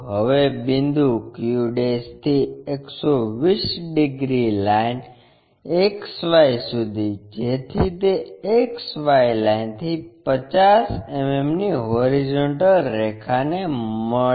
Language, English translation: Gujarati, Now, from point q' 120 degrees to XY such that it meets a horizontal line at 50 mm above XY line